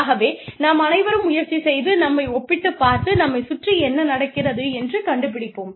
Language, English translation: Tamil, So, we all try and compare ourselves, and find out, what is going on, around us